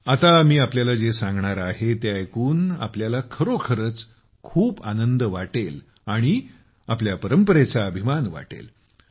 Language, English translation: Marathi, What I am going to tell you now will make you really happy…you will be proud of our heritage